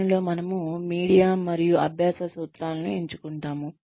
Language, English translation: Telugu, In which, we select the media and learning principles